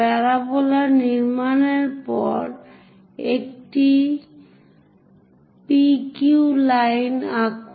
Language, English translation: Bengali, After constructing parabola, draw a P Q line